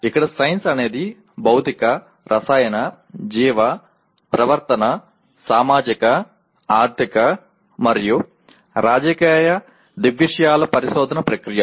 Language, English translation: Telugu, Here science is a process of investigation of physical, chemical, biological, behavioral, social, economic and political phenomena